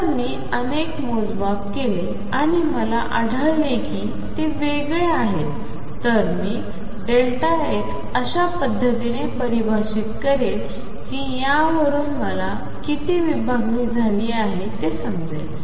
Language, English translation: Marathi, If I make several measurements and find that they are different this delta x defined in the manner given here gives me how much is the spread